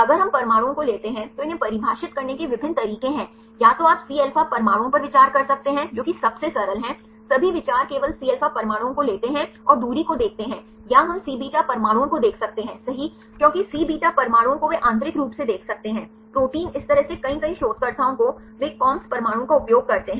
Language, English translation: Hindi, If we take the atoms there are various ways to define these either you can consider Cα atoms that is the simplest one take all the consider only Cα atoms and see the distance or we can see Cβ atoms right because Cβ atoms they can see the interior of the protein right this way a many many researchers they use Cβ atoms